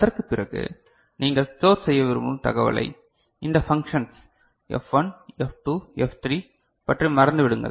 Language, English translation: Tamil, After tha,t the information that you want to store for example, forget about this functions F1, F2, F3